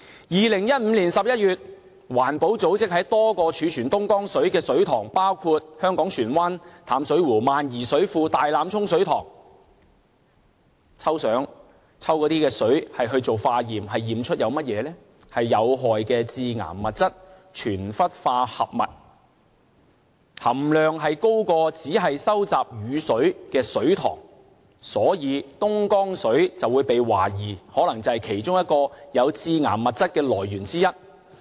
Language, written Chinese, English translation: Cantonese, 2015年11月，環保組織在多個貯存東江水的水塘，包括香港船灣淡水湖、萬宜水庫和大欖涌水塘抽水化驗，驗出有害的致癌物質全氟化合物，含量高於只收集雨水的水塘，所以東江水被懷疑可能是其中一個致癌物質的來源。, In November 2015 an environmental group took water samples of the Dongjiang water stored in various reservoirs for laboratory test including the Plover Cove Reservoir the High Island Reservoir and the Tai Lam Chung Reservoir . Hazardous and carcinogenic per and poly - fluorinated chemicals were found and the content was higher than the water in other reservoirs which only collect rain water . For that reason it was suspected that the Dongjiang water was one of the sources of carcinogen